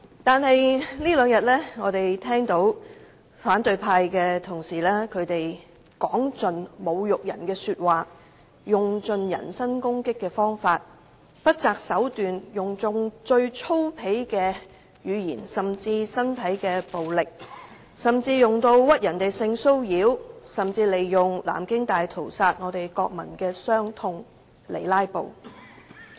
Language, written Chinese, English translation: Cantonese, 可是，我們在這兩天聽到反對派同事說盡侮辱人的話，用盡人身攻擊的方法，不擇手段地為"拉布"而不惜用最粗鄙的語言和身體暴力，甚至污衊別人性騷擾和利用南京大屠殺的國民傷痛。, Nevertheless all we have heard in the past two days was nothing but insulting remarks made by opposition Members . By resorting to all kinds of personal attacks they have unscrupulously used the most vulgar language and physical violence in their filibustering . They have even falsely accused other Members of sexual assault and taken advantage of the national sorrow over the Nanjing Massacre